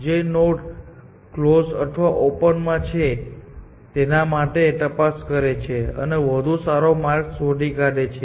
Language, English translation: Gujarati, For nodes on whichever, is open and closed, it checks for, and found a better path